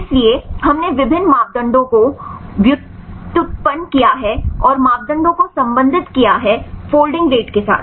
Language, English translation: Hindi, So, we derived various parameters and related the parameters with folding rates